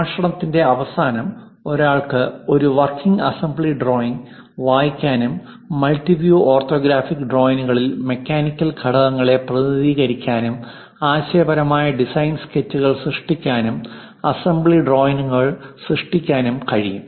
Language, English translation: Malayalam, At the end of the lectures, one would be able to read a working assembly drawing, represent mechanical components in multiview orthographics, create conceptual design sketches, and also create assembly drawings